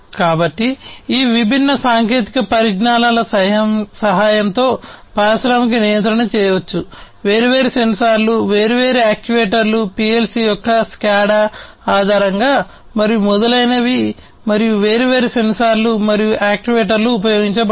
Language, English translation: Telugu, So, industrial control can be done with the help of all of these different technologies, different sensors, different actuators, based on PLC’s SCADA and so on and there are different sensors and actuators that are used